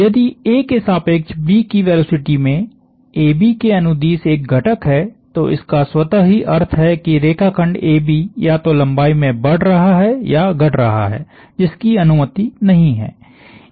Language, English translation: Hindi, If the velocity of B with respect to A has a component along AB that automatically means the line segment AB is either increasing or decreasing in length, which is not allowed